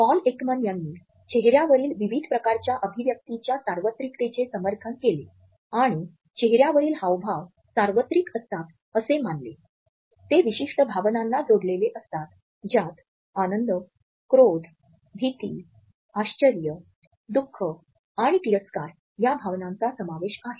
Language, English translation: Marathi, Paul Ekman found support for the universality of a variety of facial expressions and found that these facial expressions which can be considered as universal are tied to particular emotions which include the emotions of joy, anger, fear, surprise, sadness, disgust and contempt